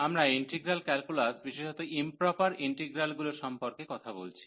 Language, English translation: Bengali, We are talking about the Integral Calculus in particular Improper Integrals